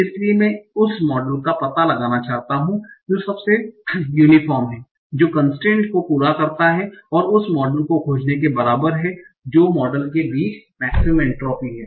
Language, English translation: Hindi, So I want to find out the model that is most uniform given the constraints that is equivalent to finding the model that is having the maximum entropy among all